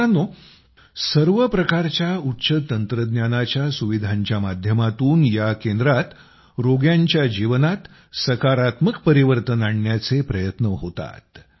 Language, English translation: Marathi, Friends, through all kinds of hitech facilities, this centre also tries to bring a positive change in the lives of the patients